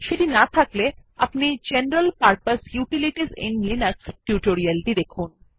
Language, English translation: Bengali, If not please refer to the tutorial on General Purpose Utilities in Linux